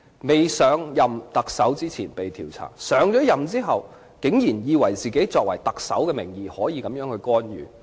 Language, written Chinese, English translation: Cantonese, 他上任特首前曾被調查，上任後竟然以為自己可以特首名義作出這種干預。, He had been investigated before he took office as the Chief Executive and after he came to power he actually thought he could do such an act of interference in the name of the Chief Executive